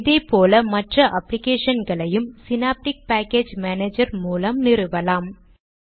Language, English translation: Tamil, You need to have the administrative rights to use Synaptic package manager